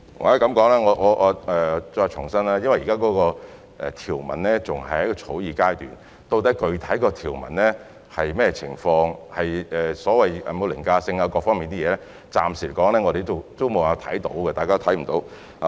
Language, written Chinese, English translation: Cantonese, 或許我再次重申，由於現時條文仍然在草擬階段，究竟具體的條文會是甚麼，有否所謂凌駕性或各方面的問題，我們暫時沒有辦法知悉。, Perhaps I would reiterate that as the legal provisions are still at the drafting stage there is no way for us to know what the specific provisions will be whether they will have a so - called overriding status or whether other issues will arise